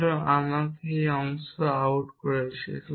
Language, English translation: Bengali, So, let me of this part out